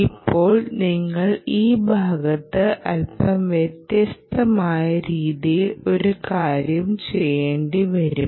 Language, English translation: Malayalam, now what you need to do is something little bit different in this part